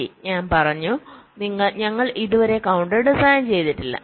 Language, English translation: Malayalam, well, i have said we have not yet designed the counter